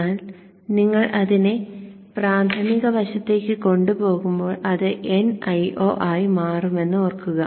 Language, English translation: Malayalam, But recall that when you take it to the primary side it becomes n i0